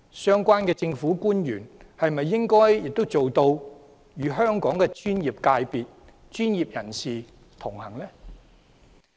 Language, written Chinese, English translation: Cantonese, 相關的政府官員是否也應該做到與香港的專業界別和專業人士同行？, Should the relevant government officials also not be able to connect with the professional sectors and professionals of Hong Kong?